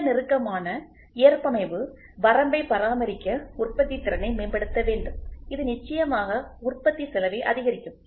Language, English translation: Tamil, In order to maintain very close tolerance limit manufacturing capability has to be enhanced which certainly increases the manufacturing cost